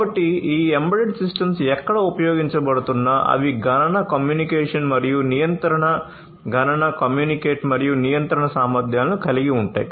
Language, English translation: Telugu, So, these embedded systems irrespective of where they are used, they possess certain capabilities of computation, communication and control, compute, communicate and control capabilities